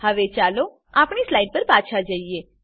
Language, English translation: Gujarati, Now let us go back to our slides